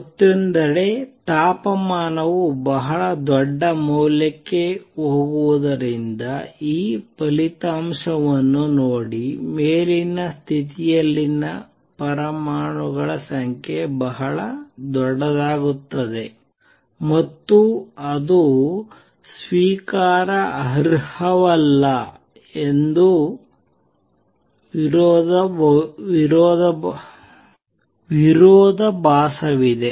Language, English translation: Kannada, On the other hand, look at this result as temperature goes to very large value the number of atoms in the upper state become very very large and that is not acceptable there is a contradiction